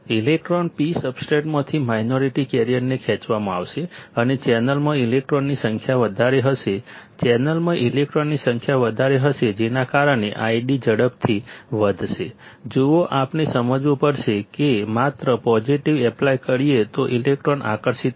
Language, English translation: Gujarati, The electron ; the minority carriers from the P substrate will be pulled up and there will be more number of electrons in the channel, there will be more number of electrons in the channel that will cause I D to increase rapidly; see we have to just understand positive apply electron will be attracted